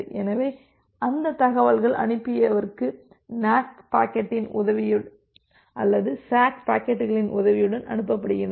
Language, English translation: Tamil, So, those information is passed to the sender with the help of the NAK packet or with the help of this SACK packets